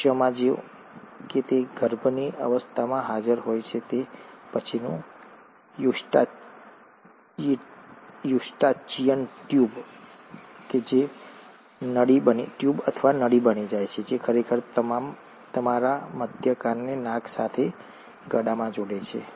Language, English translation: Gujarati, Well in humans, though it is present in the embryonic stage, it later ends up becoming a ‘Eustachian Tube’, tube or a tube which actually connects your middle ear to the nose